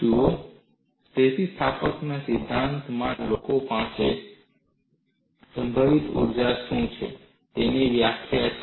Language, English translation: Gujarati, See, in theory of elasticity, people have a definition of what is potential energy